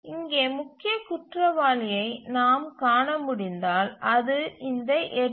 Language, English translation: Tamil, If you can see the major culprit here is this 8 here